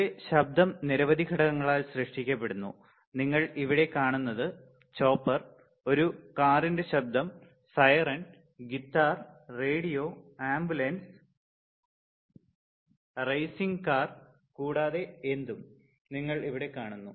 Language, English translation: Malayalam, Now, in general the noise is also created by the several components, you see here chopper, noise of a car, siren right, guitar, radio, ambulance, racing car, and what not and what not right